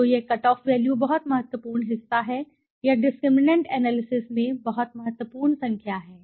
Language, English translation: Hindi, So this value this cutoff value is very important part or is very important number in the discriminant analysis